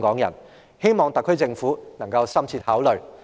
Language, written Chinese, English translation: Cantonese, 我希望特區政府可以深切考慮這點。, I hope the SAR Government will think about this in depth